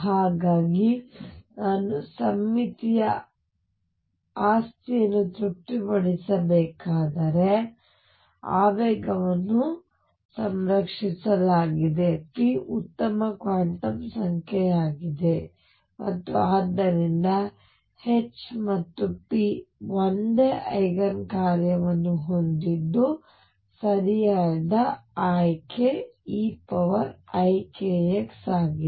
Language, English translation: Kannada, So, if I want to satisfy the symmetry property that the momentum is conserved that p be a good quantum number and therefore, H and p have the same Eigen function the correct solution to pick is e raise to i k x